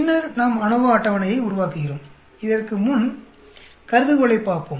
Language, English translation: Tamil, Then we create the ANOVA table, before that let us look the hypothesis